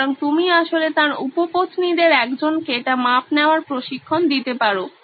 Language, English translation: Bengali, So, you could actually train one of his mistresses to do the measurement